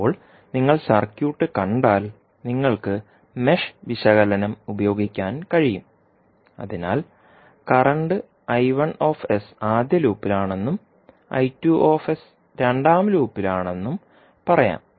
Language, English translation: Malayalam, Now, if you see the circuit you can utilize the mesh analysis so let us say that the current I1s is in the first loop, I2s is in loop 2